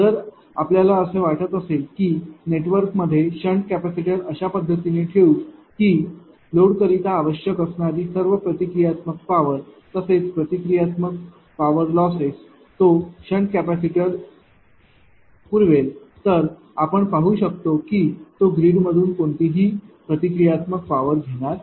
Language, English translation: Marathi, If you think that we will place the sand capacitor in the network in such a fashion such that it will supply that sand capacitor will supply all the reactive power required by the load as well as the reactive power losses then one can see that it will not draw any any reactive power from the grid